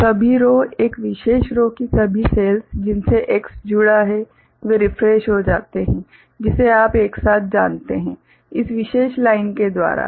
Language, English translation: Hindi, So, all the rows, all the cells in a particular row, to which X is connected; so they get refreshed that you know together, by this particular line